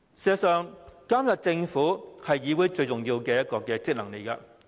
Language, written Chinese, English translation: Cantonese, 事實上，監察政府是議會最重要的職能。, In fact the most important function of the Council is to monitor the Government